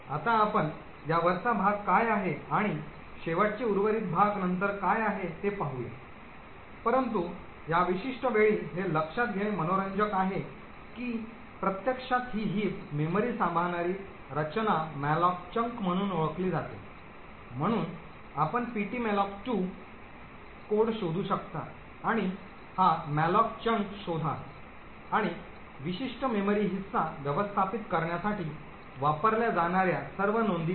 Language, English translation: Marathi, Now we will look at what this top chunk is and what last remainder chunk is later on but at this particular point of time it is interesting to note that the structure that actually manages this heap memory is known as the malloc chunk, so you can look up the ptmalloc2 code and locate this malloc chunk and see all the entries that are used to manage a particular memory chunk